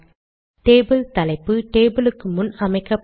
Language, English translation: Tamil, Table caption is put before the table